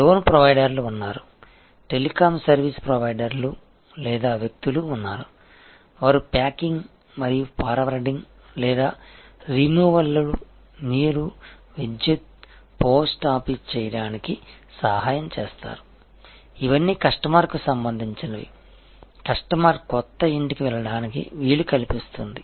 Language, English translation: Telugu, There are loan providers, there are telecom service providers or people, who will help to do packing and forwarding or removals, water, electricity, post office, all of these are related for a customer, enabling a customer to move to a new house